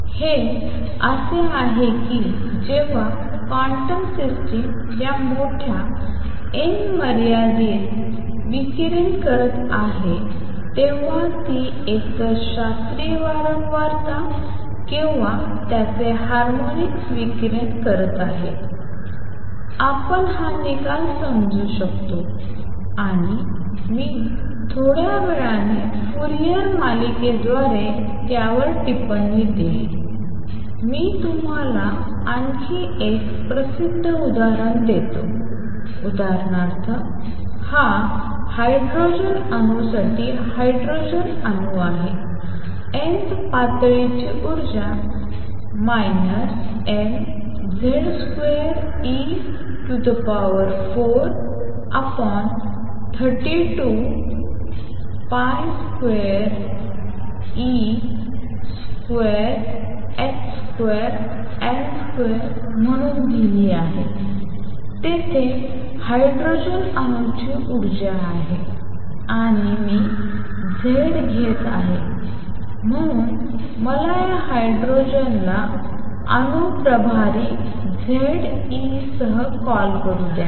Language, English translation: Marathi, So, it is as if when the quantum system is radiating in this large n limit, it is radiating either the classical frequency or its harmonics we can understand this result and I will comment on it little later through Fourier series let me give you another famous example it is a hydrogen atom for a hydrogen atom, the energy of the nth level is given as minus m z square e raise to 4 over 32 pi square epsilon 0 square h square n square, there is the energy of a hydrogen atom and since I am taking z